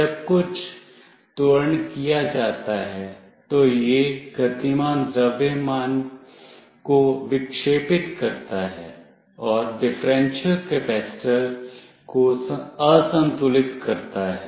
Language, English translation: Hindi, When some acceleration is made this deflects the moving mass, and unbalances the differential capacitor